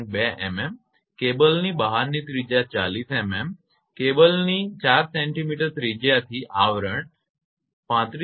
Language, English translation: Gujarati, 2 millimetre outside radius of cable is 40 millimetre that is 4 centimetre radius of cable over sheath 35